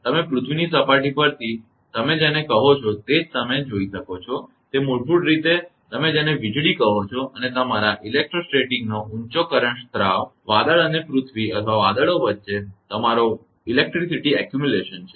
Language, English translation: Gujarati, You can see from the your what you call from the earth surface that it is basically that you are what you call electricity and your high current discharge of an electrostatic your electricity accumulation between the cloud and earth or between the clouds